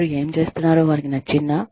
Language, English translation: Telugu, Do they like, what they are doing